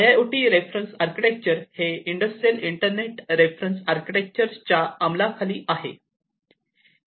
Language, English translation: Marathi, So, the IIoT reference architecture is governed by the Industrial Internet Reference Architecture